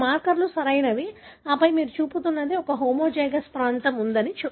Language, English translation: Telugu, These are the markers, right and then what you are showing is that there is a homozygous region